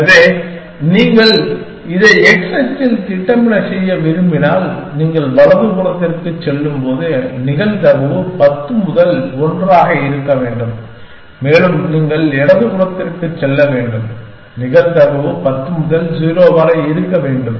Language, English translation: Tamil, So, if you want to plot this on x axis then the more you go to the right hand side, the probability should 10 to 1 and the more you go to the left hand side, the probability should 10 to 0 essentially